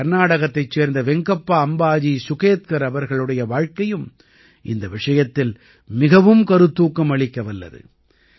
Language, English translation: Tamil, The life of Venkappa Ambaji Sugetkar of Karnataka, is also very inspiring in this regard